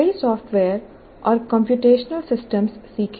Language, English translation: Hindi, Learn multiple software and computational systems